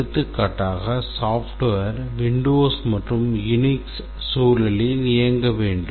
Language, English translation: Tamil, For example, we might say that it should run using both Windows and the Unix environment